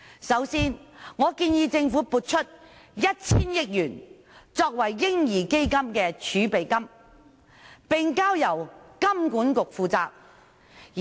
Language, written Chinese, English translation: Cantonese, 首先，我建議政府撥出 1,000 億元作為"嬰兒基金"的儲備金，並交由香港金融管理局負責。, First of all I propose that 100 billion be allocated by the Government as the baby fund reserve to be taken charge of by the Hong Kong Monetary Authority